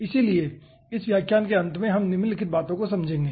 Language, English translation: Hindi, at a end of this lecture we will understand the following points